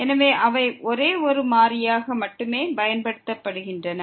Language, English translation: Tamil, So, they are used to be only one variable